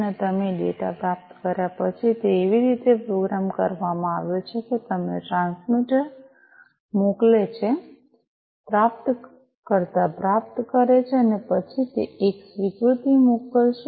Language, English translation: Gujarati, And after you receive the data, it has been programmed in such a manner that you the transmitter sends, receiver receives, and then it will send an acknowledgment